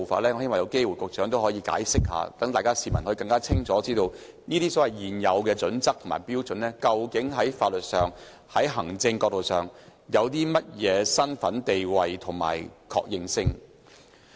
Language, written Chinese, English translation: Cantonese, 我希望局長可以作出解釋，讓市民更清楚知道《規劃標準》究竟在法律、行政角度上的地位及認受性。, I hope the Secretary can give us an explanation so that the public will have a better understanding of the status and recognition of HKPSG from the legal and administrative perspectives